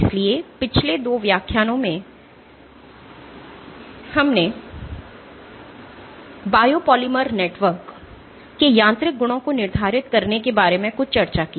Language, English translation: Hindi, So, over the last 2 lectures we started having some discussion on how to go about quantifying the mechanical properties of biopolymer networks